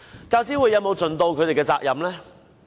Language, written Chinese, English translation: Cantonese, 教資會有否盡其責任呢？, Has UGC duly discharged its responsibilities?